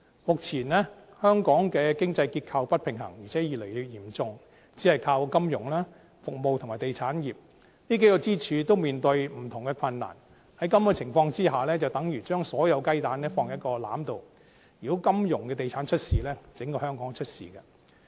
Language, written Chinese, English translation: Cantonese, 目前香港的經濟結構不平衡，而且越來越嚴重，只是靠金融、服務和地產業，但這數個支柱也面對不同的困難，在這種情況下，等於將所有雞蛋放入同一籃子，如果金融地產業出事，整個香港也會出事。, The current economic structure of Hong Kong is getting more and more unbalanced towards the financial service and real estate sectors but these pillars are also facing different difficulties . Under the circumstances we will be like putting all the eggs in one basket . If anything happens in the financial and real estate sectors Hong Kong as a whole will also have problems